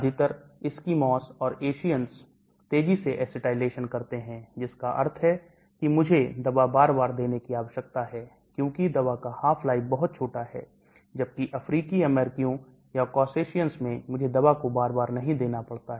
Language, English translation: Hindi, the majority of Eskimos and Asians are rapid acetylaters, that means I need to keep giving the drug quite often because the drug half life is very, very small, whereas African Americans or Caucasians I do not have to give this drug quite often